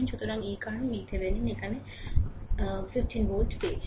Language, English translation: Bengali, So, that is why, V Thevenin we got your 15 volt here